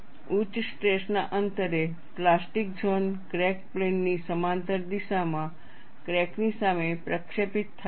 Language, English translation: Gujarati, At high stress levels, the plastic zone is projected in front of the crack in the direction parallel to the crack plane; that is what happens